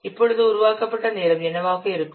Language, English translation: Tamil, Now the development time will what